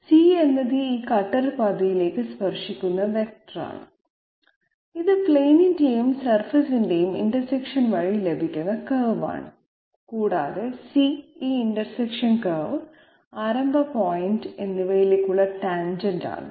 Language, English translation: Malayalam, C is the vector which is tangent to this cutter path okay, this is the curve obtained by the intersection of the plane and the surface and C happens to be the tangent to this curve, this intersection curve and the starting point